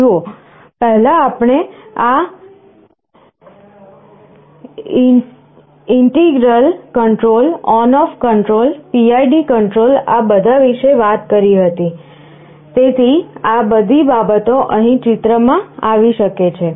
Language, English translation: Gujarati, See earlier, we talked about this integral control on off control, PID control all these things, so all these things can come into the picture here